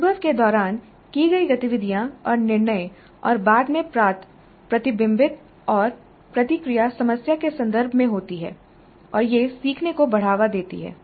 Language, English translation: Hindi, The activities and decisions made during the experience and the later reflection and feedback received occur in the context of the problem and this promotes learning